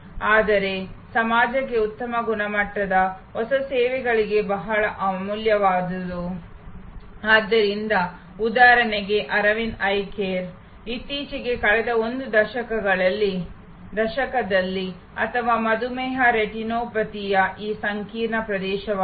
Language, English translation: Kannada, But, very valuable for the society high quality new services, so for example, Aravind Eye Care was recently engaged over the last decade or so, this very complex area of diabetic retinopathy